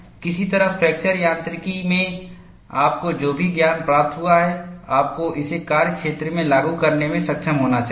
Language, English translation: Hindi, Someway, whatever the knowledge you have gained in fracture mechanics, you should be able to translate it to field application